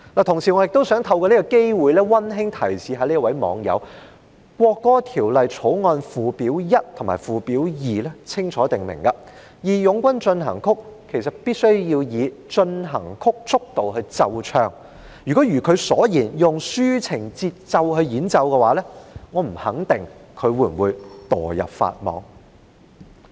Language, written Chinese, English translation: Cantonese, 同時，我也想透過這個機會溫馨提示這位網友，《條例草案》附表1和附表2清楚訂明，"義勇軍進行曲"必須以進行曲速度來奏唱，如果如她所言，以抒情節奏來演奏，我不肯定她會否墮入法網。, Meanwhile I also wish to take this opportunity to kindly remind this netizen that Schedules 1 and 2 to the Bill clearly provided that March of the Volunteers must be played and sung at the march tempo and if the anthem is played softly as she suggested I am not sure if she would be caught by the law